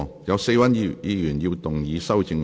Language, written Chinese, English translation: Cantonese, 有4位議員要動議修正案。, Four Members will move amendments to this motion